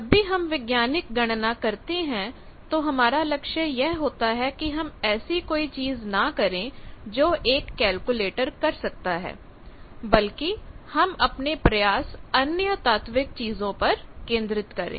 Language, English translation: Hindi, When we do a scientific calculation our aim is not to do those things that can be done by calculators, but we try to concentrate our efforts in other philosophical things